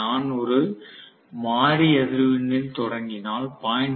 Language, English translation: Tamil, So if I do a variable frequency starting, if I have variable frequency starting with 0